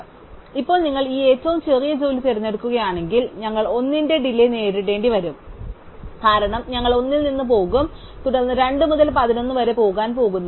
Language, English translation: Malayalam, So, now if you pick this shortest job then we are going to incur a lateness of 1, because we are going to go from 1 and then we are going to go from 2 to the 11